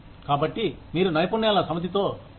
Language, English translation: Telugu, So, you come with a set of skills